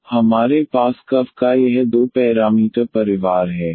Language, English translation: Hindi, So, we have this two parameter family of curves